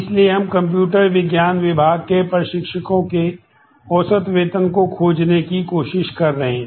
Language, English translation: Hindi, So, we are trying to find the average salary of instructors in computer science department